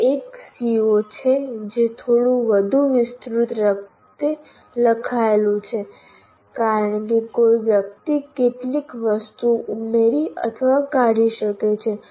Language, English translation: Gujarati, That is a CO written somewhat elaborately because one can add or delete some of the items in this